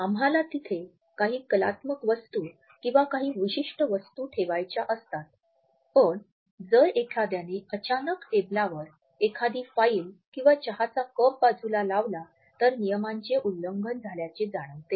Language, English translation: Marathi, We want to put certain artifacts there, we want to put certain objects there and if somebody pushes a file or a cup of tea suddenly across the table towards us we feel violated